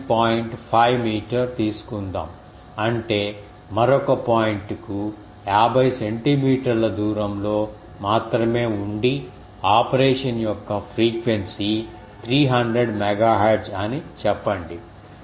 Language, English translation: Telugu, 5 meter; that means, only fifty centimeter away another point and let us say the frequency of operation is 300 megahertz